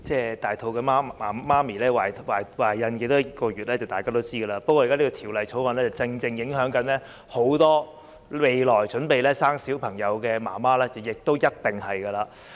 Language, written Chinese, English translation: Cantonese, 大家也知道成為母親需要懷孕多少個月，所以《2019年僱傭條例草案》影響很多未來準備生育小朋友的準母親是必然的事情。, We all know how many months it takes for a pregnant woman to become a mother . Hence the Employment Amendment Bill 2019 the Bill is obviously something that affects many expectant mothers who are prepared to have children . President we all can see the present situation in Hong Kong